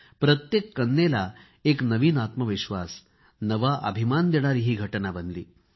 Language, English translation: Marathi, It became an incident to create a new selfconfidence and a feeling of self pride in every daughter